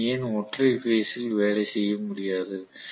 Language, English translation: Tamil, Why cannot we just work with single phase